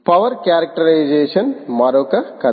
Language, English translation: Telugu, power characterization is another story